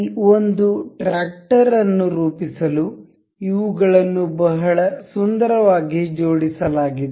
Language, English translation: Kannada, This is been very beautifully assembled to form this one tractor